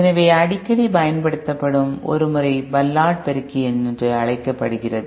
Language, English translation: Tamil, So one method that is frequently used is what is called the Ballard amplifier